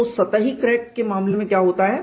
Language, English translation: Hindi, So, what happens in the case of a surface crack